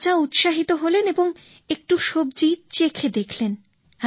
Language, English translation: Bengali, The king was excited and he tasted a little of the dish